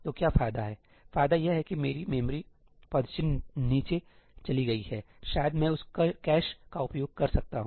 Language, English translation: Hindi, So, what is the advantage the advantage is that my memory footprint has gone down, maybe I can make use of the cache out of that